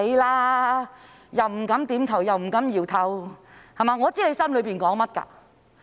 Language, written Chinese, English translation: Cantonese, 你既不敢點頭，又不敢搖頭，我知道你心底裏想甚麼。, You dare not nod or shake your head but I know what you are thinking deep in your heart